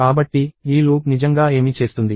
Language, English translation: Telugu, So, what this loop really does is this